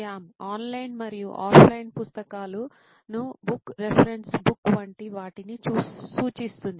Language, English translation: Telugu, Referring online as well as offline books like book a reference book